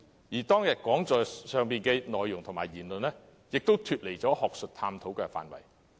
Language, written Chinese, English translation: Cantonese, 此外，當天講座的內容和言論，也超出了學術探討範圍。, Furthermore the contents of the seminar and the remarks made therein ran beyond the scope of academic exploration